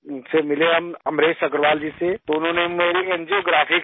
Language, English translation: Urdu, Then we met Amresh Agarwal ji, so he did my angiography